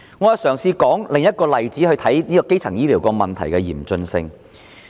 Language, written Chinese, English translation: Cantonese, 我試舉另一例子，以顯示基層醫療問題多麼嚴峻。, Let me cite another example to reveal how serious the problems with primary health care are